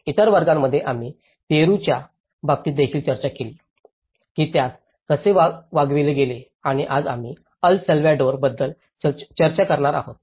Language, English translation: Marathi, In other classes, we have also discussed in the case of Peru, how it has been dealt and today we are going to discuss about the El Salvador